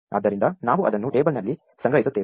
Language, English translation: Kannada, So, we store that in the table